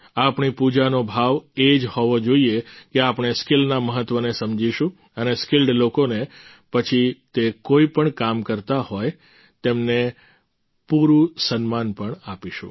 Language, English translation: Gujarati, The spirit of our worship should be such that we understand the importance of skill, and also give full respect to skilled people, no matter what work they do